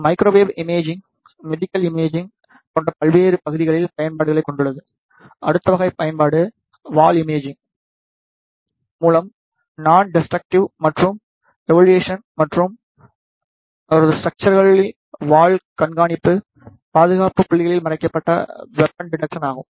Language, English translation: Tamil, The microwave imaging has applications in various areas like, medical imaging; the next type of application is the non destructive testing and evaluation through wall imaging, and his structure wall monitory, concealed weapon detection at security points